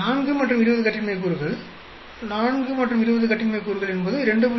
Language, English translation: Tamil, 4 and 20 degrees of freedom, 4 and 20 degrees of freedom is 2